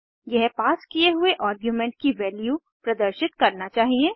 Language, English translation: Hindi, It should display the value of the argument passed